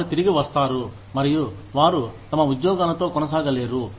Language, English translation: Telugu, They come back, and they are unable to continue, with their jobs